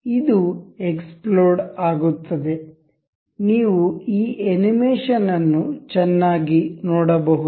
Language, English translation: Kannada, This explode, you can see this animation nicely